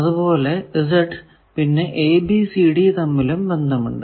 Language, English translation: Malayalam, There are relations between Z and a, b, c, d